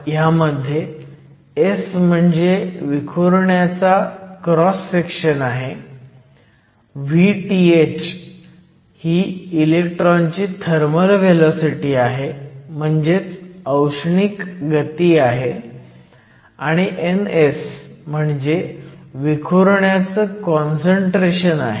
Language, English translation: Marathi, S represents the cross section of the scatterer, V th is the thermal velocity of the electrons and N s is the concentration of the scatterer